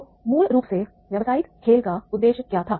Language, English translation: Hindi, So basically what was the aim of the business game